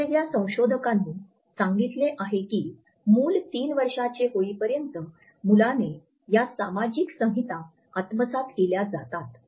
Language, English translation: Marathi, Different researchers have told us that by the time a child is 3 years old, the child has imbibed these social codes